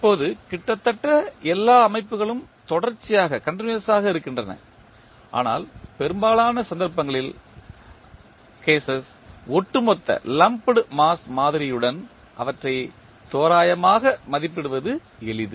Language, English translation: Tamil, Now, in reality almost all systems are continuous but in most of the cases it is easier to approximate them with lumped mass model